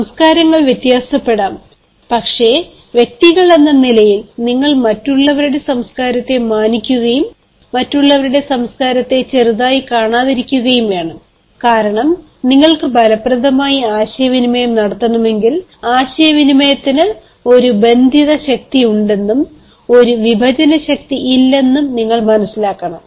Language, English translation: Malayalam, culture may vary, but as individuals you need to respect others culture and not be little others culture, because if you want to communicate effectively, you should understand that communication has a binding force and not a dividing force